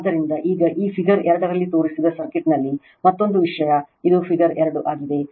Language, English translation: Kannada, So, now another thing in the circuit shown in figure this 2 this is figure 2 right